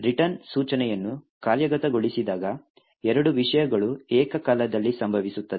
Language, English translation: Kannada, Now when the return instruction is executed there are two things that simultaneously occur